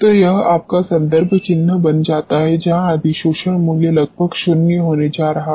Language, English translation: Hindi, So, this becomes your reference mark where adsorption value is going to be almost nil